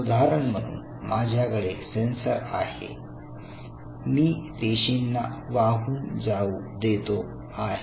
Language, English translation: Marathi, Now, I have a sensor say for example, I allow the cells to flow